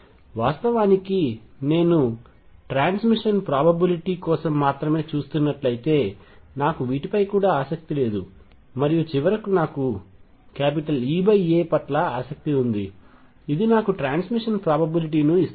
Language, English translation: Telugu, And In fact, if I am looking only for transmission probability I am not even interested in these and finally, I am interested in E over A, which gives me the transmission probability